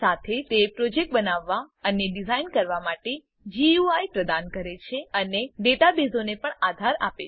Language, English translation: Gujarati, It also provides GUI to create and design projects and also supports databases